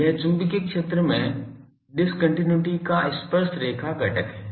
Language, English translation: Hindi, It is the tangential component of the discontinuity in the magnetic field